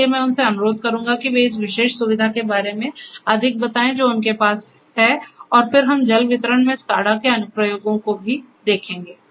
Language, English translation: Hindi, So, I would request them to explain more about this particular facility that they have and then, we will also look at the applications of SCADA in water distribution